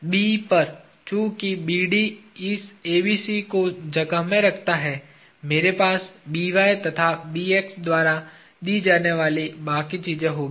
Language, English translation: Hindi, At B, since BD is holding this ABC in place, I will have the rest things offered by By and Bx